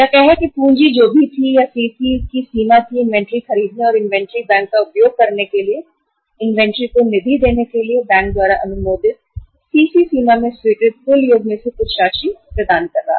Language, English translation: Hindi, Say whatever the capital was or the CC limit was sanctioned by the bank to to fund the inventory to buy the inventory and to use the inventory bank was providing certain sum uh out of the total sum sanctioned in the CC limit